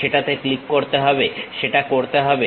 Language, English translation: Bengali, Click that, do that